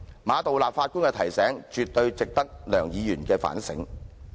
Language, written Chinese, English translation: Cantonese, 馬道立首席法官的提醒，絕對值得梁議員反省。, Dr LEUNG should really reflect on Chief Justice Geoffrey MAs reminder